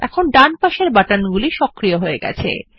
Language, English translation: Bengali, The buttons on the right side are now enabled